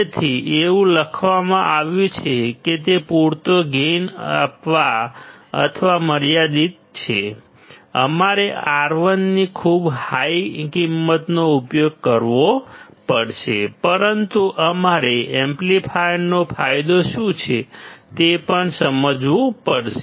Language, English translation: Gujarati, So, it is written that it is limited to provide sufficient gain, we have to use very high value of R1, but we also have to understand as to what is the gain of our amplifier